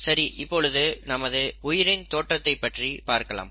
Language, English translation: Tamil, So let me start by talking about our own origin